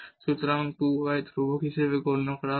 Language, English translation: Bengali, So, the 2 y will be treated as constant